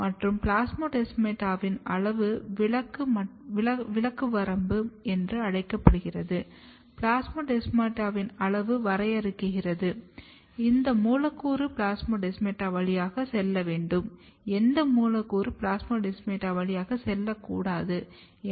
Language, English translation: Tamil, And size of plasmodesmata which is called size exclusion limit of plasmodesmata defines, which molecule to pass through the plasmodesmata, which molecule not to the plasmodesmata